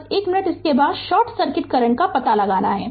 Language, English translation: Hindi, Just one minute then you come to this you have to find out the short circuit current